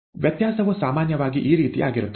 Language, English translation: Kannada, The variation is typically like this